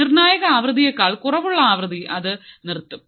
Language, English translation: Malayalam, Frequency which is less than my critical frequency it will stop right